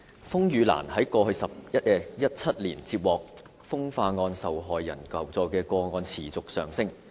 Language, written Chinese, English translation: Cantonese, 風雨蘭在過去17年接獲風化案受害人求助的個案持續上升。, The number of requests for assistance from sex crime victims received by RainLily has risen continuously in the past 17 years